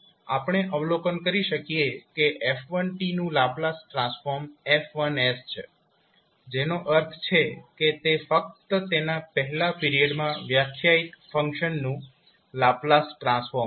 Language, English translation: Gujarati, We can observe absorb that F1 s is the Laplace transform of f1 t that means it is the Laplace transform of function defined over its first period only